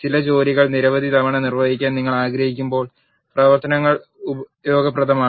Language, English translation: Malayalam, Functions are useful when you want to perform certain tasks many number of times